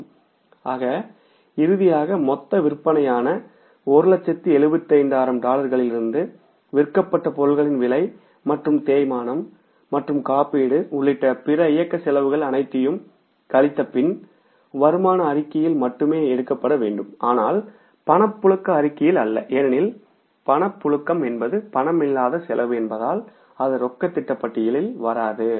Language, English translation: Tamil, So finally we have calculated that from the total sales of $175,000 after subtracting all the cost, that is the cost of goods sold plus other operating expenses including depreciation and the insurance which are to be only taken in the income statement not in the cash flow because depreciation is a non cash expense, it doesn't go in the cash budget, insurance was asked to be directly taken to the income statement